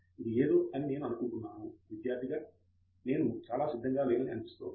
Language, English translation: Telugu, I think this is something it shows that the student is not very prepared I think